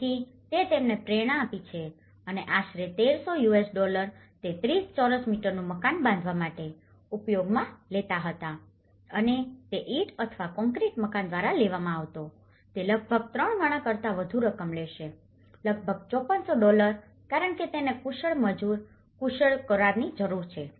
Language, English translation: Gujarati, So, that kind of inspiration it has motivated them and about 1300 US dollars it used to take construct a 30 square meter house and if it was taken by a brick or concrete house, it would have taken more than nearly, thrice the amount which is about 5400 dollars because which needs a skilled labour, skilled contract